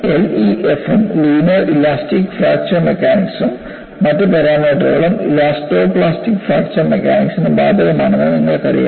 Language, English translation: Malayalam, You know, certain parameters are applicable for LEFM, linear elastic fracture mechanics and the other parameters are applicable for elasto plastic fracture mechanics